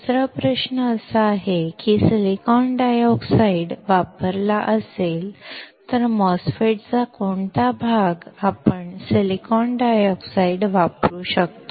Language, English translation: Marathi, Another question is if silicon dioxide is used, which part of the MOSFETs can we use silicon dioxide